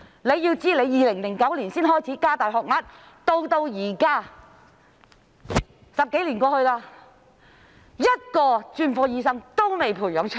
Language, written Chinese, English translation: Cantonese, 政府在2009年才開始加大學額，到現在10多年過去，一個專科醫生都未能培訓出來。, The Government started to offer more places in 2009 but more than 10 years have passed and not a single specialist has been trained